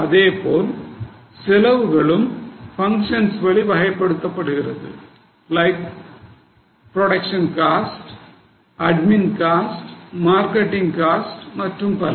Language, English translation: Tamil, So, the cost is also classified as for the function like production cost, admin cost, marketing costs and so on